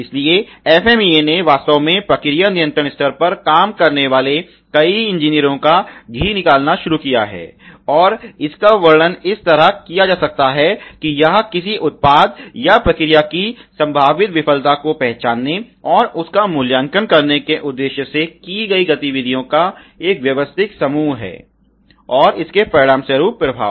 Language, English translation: Hindi, So, FMEA has a in fact began a gratin butter of several engineers working at process control level, and it can be describe is a systematize group of activities intended to recognize and evaluate the potential failure of a product or process and its resulting effect ok